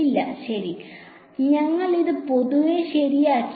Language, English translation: Malayalam, No, right we just left it generally ok